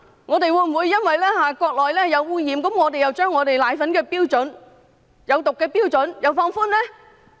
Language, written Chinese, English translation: Cantonese, 我們會否因為國內的奶粉受污染而將香港奶粉中有毒物質的標準放寬呢？, Will we relax the standards for toxic substances in powdered formula in Hong Kong because such formula milk in the Mainland is contaminated?